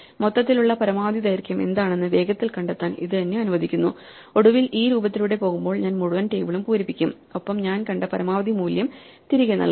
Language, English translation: Malayalam, So, this is allows me to quickly find out what is the maximum length overall and finally, when I go through this look i would filled up the entire table and i will return the maximum value i saw over